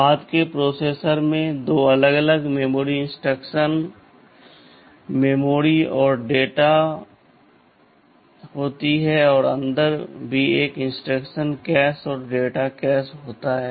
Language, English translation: Hindi, and r nine 9 Tand the later processors they have 2 separate memory, instruction memory and data memory, and inside also there is an instruction cache and a data cache separate